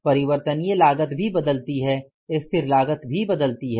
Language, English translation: Hindi, Variable cost also changes